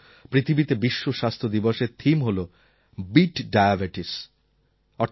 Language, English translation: Bengali, This year the theme of the World Health Day is 'Beat Diabetes'